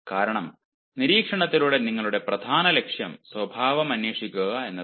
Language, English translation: Malayalam, gather the data from this observation, because your main aim, through observation, is to investigate behavior